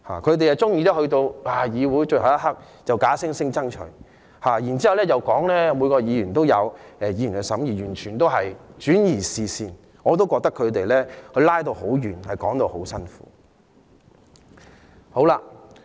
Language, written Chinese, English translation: Cantonese, 反對派議員喜歡在審議最後一刻才假惺惺說要爭取，然後說每位議員都有權審議法例，完全是轉移視線，我覺得他們扯得很遠，說法很牽強。, Members from the opposition camp are fond of saying hypocritically at the last minute of discussion that they have to fight for it but that every Member has the right to scrutinize the Bill . That is a complete diversion of attention . I think while they are digressing too far from the subject their justifications are also too far - fetched